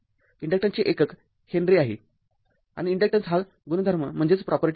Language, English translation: Marathi, The unit of inductance is Henry and inductance is the property right